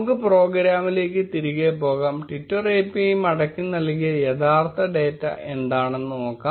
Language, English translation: Malayalam, Let us go back to the program and see what is the data which actually exists returned by the twitter API